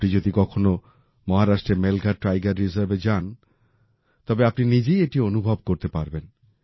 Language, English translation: Bengali, If you ever go to the Melghat Tiger Reserve in Maharashtra, you will be able to experience it for yourself